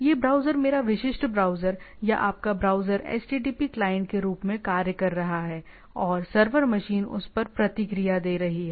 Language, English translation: Hindi, So, this browser my typical browser or your browser is acting as a http client and the server machine is responding to that